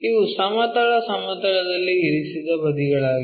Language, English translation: Kannada, This is the horizontal plane